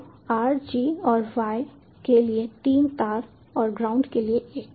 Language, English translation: Hindi, so three wires for r, g and y and one for the ground